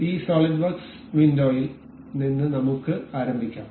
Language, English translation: Malayalam, So, let us begin with this SolidWorks window